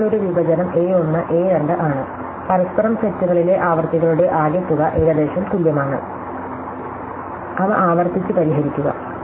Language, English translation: Malayalam, So, a partition is A 1, A 2, sums of the frequencies in each other sets are roughly equal, solve them recursively